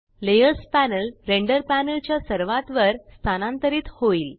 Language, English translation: Marathi, The layers panel moves to the top of the render panel